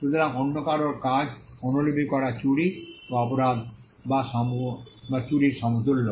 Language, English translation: Bengali, So, copying somebody else’s work was equated to stealing or equated to the crime or theft